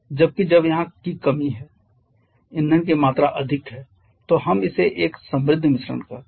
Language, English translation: Hindi, Whereas when the it is deficient of here that is amount of will is more then we call it a rich mixture